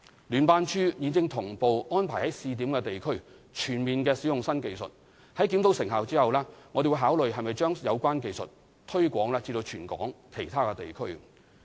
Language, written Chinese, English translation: Cantonese, 聯辦處現正同步安排於試點地區全面使用新技術，在檢討成效後，我們會考慮是否將有關技術推擴至全港其他地區。, JO is in parallel arranging full application of these new technological methods in pilot districts . JO will evaluate their effectiveness and consider whether to extend such methods to all districts of Hong Kong